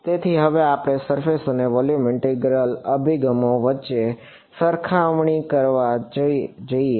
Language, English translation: Gujarati, So, now let us go to sort of a comparison between the Surface and Volume Integral approaches right